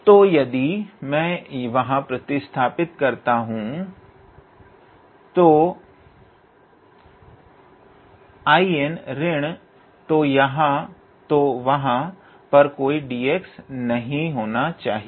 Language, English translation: Hindi, Now, if I substitute so there should not be any d x here